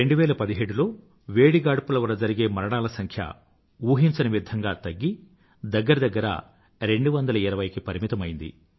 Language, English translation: Telugu, In 2017, the death toll on account of heat wave remarkably came down to around 220 or so